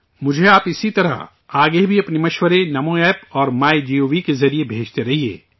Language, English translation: Urdu, Similarly, keep sending me your suggestions in future also through Namo App and MyGov